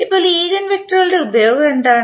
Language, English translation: Malayalam, Now, what is the use of eigenvectors